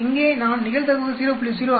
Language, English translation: Tamil, Here I will mention the probability 0